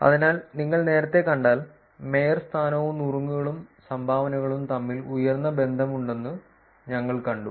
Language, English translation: Malayalam, So, if you see earlier, we saw that the there is high correlation between mayorship, tips and dones